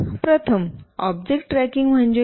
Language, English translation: Marathi, Firstly, what is object tracking